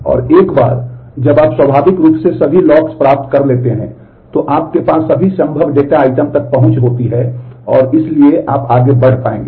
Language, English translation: Hindi, And once you have got all the locks naturally you have every access to all possible data items and therefore, you will be able to proceed